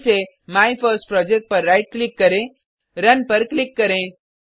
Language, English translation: Hindi, Again right click on MyFirstProject , click on Run